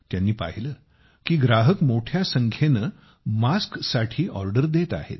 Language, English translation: Marathi, He saw that customers were placing orders for masks in large numbers